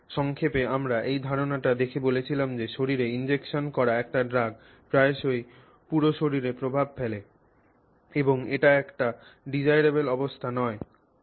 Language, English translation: Bengali, So, in summary, we began by saying, looking at this idea that you know a drug injected into the body often impacts the entire body and often that is not a desirable condition